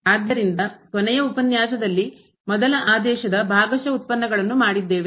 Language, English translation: Kannada, So, in the last lecture what we have seen the partial derivatives of